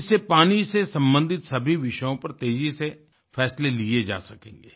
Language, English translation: Hindi, This will allow faster decisionmaking on all subjects related to water